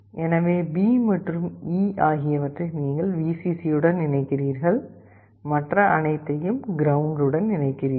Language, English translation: Tamil, So, B and E you connect to Vcc, and all others to ground